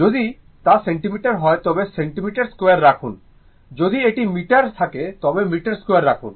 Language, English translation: Bengali, If it is in centimeter, centimeter square; if it is in meter, you put in meter square, right